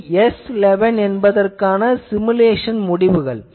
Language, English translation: Tamil, And this is the simulated results for it is S11